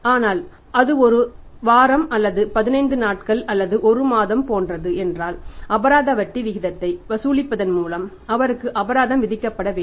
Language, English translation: Tamil, But if it is like a week or 15 days or a month then he should be penalized by charging the penal rate of interest